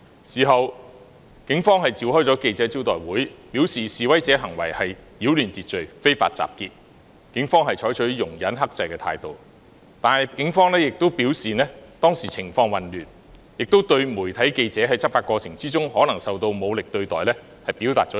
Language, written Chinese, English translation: Cantonese, 事後，警方召開記者招待會，表示示威者的行為是擾亂秩序，非法集結，警方已採取容忍和克制的態度，但同時警方亦表示當時情況混亂，對於在執法過程中，媒體記者可能受到武力對待，表達歉意。, Afterwards the Police convened a press conference stating what the protesters did was disruption of order and an unlawful assembly . The Police had exercised tolerance and restraint . But at the same time the Police also said that the then situation was chaotic and extended apologies to reporters of media organizations who might be treated with force during the course of law enforcement